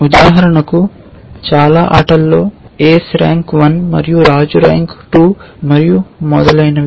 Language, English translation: Telugu, So, in most games for example, ace is rank 1 and king is rank 2 and so on